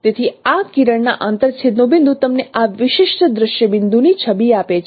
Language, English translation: Gujarati, So the point of intersection of this ray is giving you the image of this particular scene point